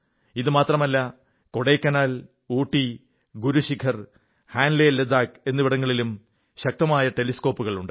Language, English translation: Malayalam, Not just that, in Kodaikkaanal, Udagamandala, Guru Shikhar and Hanle Ladakh as well, powerful telescopes are located